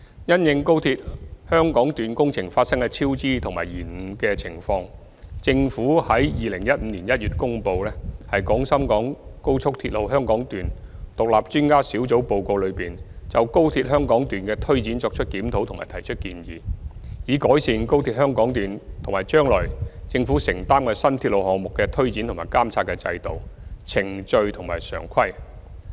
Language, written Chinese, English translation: Cantonese, 因應高鐵香港段工程發生的超支及延誤情況，政府在2015年1月公布《廣深港高速鐵路香港段獨立專家小組報告》，就高鐵香港段的推展作出檢討及提出建議，以改善高鐵香港段及將來政府承擔的新鐵路項目的推展及監察的制度、程序和常規。, In light of the cost overruns and delays of the XRL Hong Kong Section project the Government released in January 2015 the Report of the Hong Kong Section of the Guangzhou - Shenzhen - Hong Kong Express Rail Link Independent Expert Panel which reviewed the implementation of the XRL Hong Kong Section and put forward recommendations aiming to improve the systems processes and practices for implementing and monitoring the XRL Hong Kong Section as well as future new railway projects